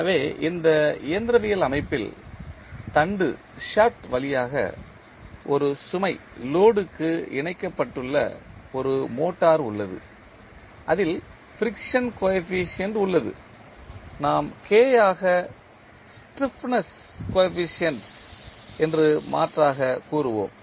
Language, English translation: Tamil, So, in this mechanical system we have one motor connected to a load through shaft which has the friction coefficient as we will rather say stiffness coefficient as K which defines the torsional spring coefficient